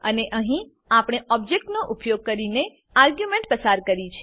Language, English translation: Gujarati, And here we have passed the arguments using the Object